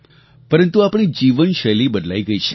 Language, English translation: Gujarati, But our lifestyle has changed